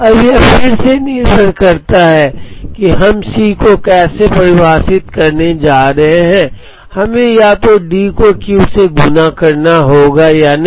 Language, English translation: Hindi, Now, it again depends on how we are going to define C s we need to either multiply with the D by Q or not